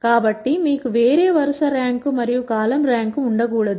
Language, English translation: Telugu, So, you cannot have a different row rank and column rank